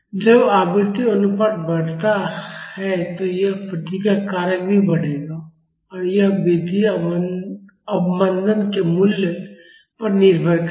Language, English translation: Hindi, When the frequency ratio increases this response factor will also increase and that increase will depend upon the value of damping